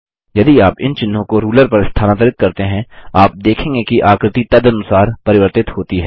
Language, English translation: Hindi, If you move these marks on the ruler, you will notice that the figure changes accordingly